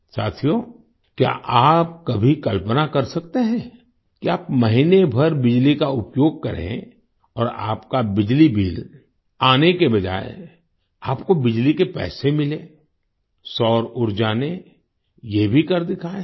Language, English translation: Hindi, Friends, can you ever imagine that on using electricity for a month, instead of getting your electricity bill, you get paid for electricity